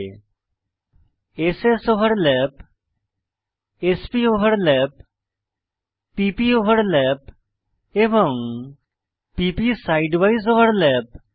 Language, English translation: Bengali, s soverlap, s poverlap, p poverlap and p p side wise overlap